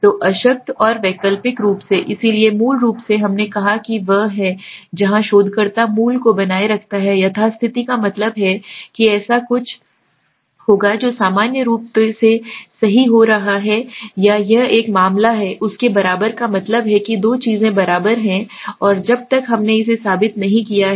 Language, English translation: Hindi, So the null and the alternate, so the null basically we said is one where the researcher follows the basic maintain the status quo that means something would happen what it is normally happening right, or it is a case of an equal to that means two things are equal and till we have not proven it